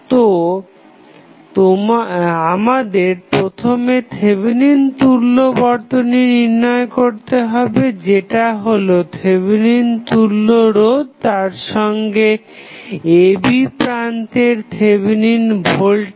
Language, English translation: Bengali, So, what we have to do we have to first find the value of Thevenin equivalent that is Thevenin equivalent resistance as well as Thevenin voltage across the terminal AB